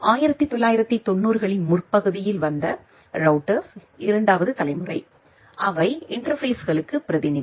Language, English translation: Tamil, The 2nd generation of the routers which came in early 1990s, they are delegate to interfaces